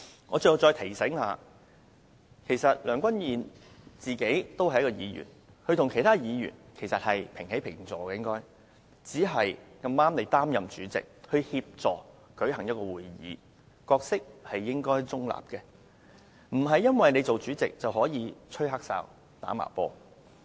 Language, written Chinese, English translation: Cantonese, 我想提醒梁君彥主席，他本身也是一名議員，跟其他議員平起平坐，只是碰巧他擔任主席，負責主持會議，故應當保持中立，不能因為當上主席，便可以"吹黑哨"、"打茅波"的。, I want to remind President Andrew LEUNG that he is also a Member of the Legislative Council and is on an equal footing with other Members only that he happened to be the President who is tasked to chair Council meetings . He should therefore remain neutral rather than play corrupted referee or played foul because he is the President